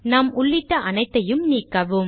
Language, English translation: Tamil, Remove all that we just typed